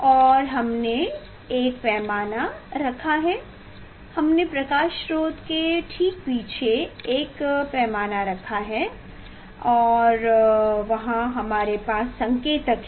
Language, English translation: Hindi, And we have put a scale; we have put a scale just behind the light source and there we have indicator we have indicators